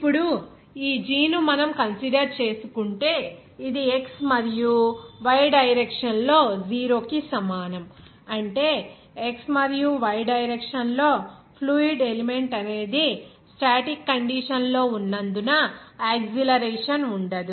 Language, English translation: Telugu, Now, this g if we consider here, which is equal to 0 in x and y direction, that means in the x and y direction, there will be no acceleration since the fluid element is in static condition